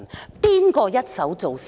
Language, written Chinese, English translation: Cantonese, 這是誰一手造成的？, Who caused this to happen?